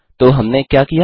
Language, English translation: Hindi, So what did we do